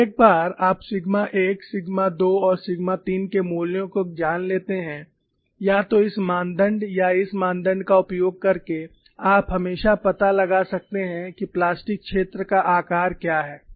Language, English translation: Hindi, So, once you know the values of sigma 1, sigma 2, and sigma 3, either by using this criteria or this criteria you can always find out, what is the plastic zone size